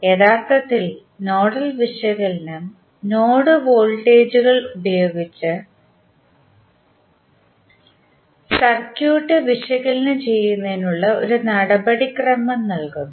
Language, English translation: Malayalam, Actually, nodal analysis provides a procedure for analyzing circuit using node voltage